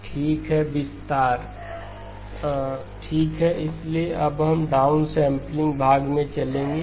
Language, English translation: Hindi, Okay so we now move to the downsampling part